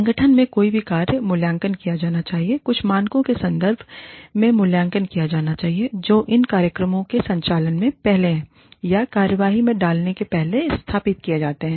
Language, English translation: Hindi, Any function in the organization, should be evaluated, should be assessed, in terms of some standards, that are established, before these programs are operationalized, or before they are put into action